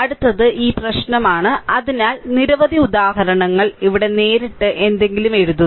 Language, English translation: Malayalam, Next is this problem here after making so, many examples, so, here directly you will write something right